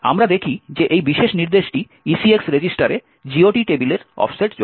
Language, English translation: Bengali, More details we see that this particular instruction adds the offset of the GOT table to the ECX register